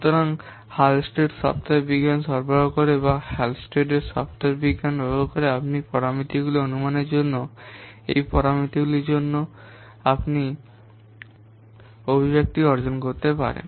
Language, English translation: Bengali, So Hullstead software science provides or by using the HALSTATE software science, you can derive the expressions for these parameters, for estimating these parameters